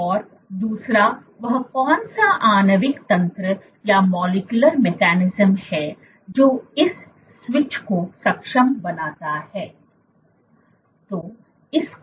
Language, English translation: Hindi, and second is what is the molecular mechanism which enables this switch